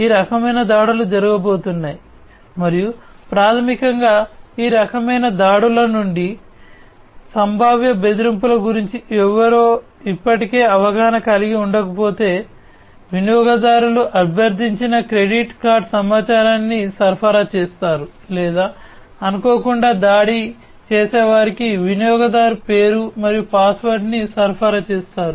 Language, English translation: Telugu, So, these kind of attacks are going to be made and that will basically if somebody is not already educated about the potential threats from these kind of attacks, then they will the user would supply the credit card information that is requested or supply the username and password to the attacker unintentionally and that way they will lose access to their system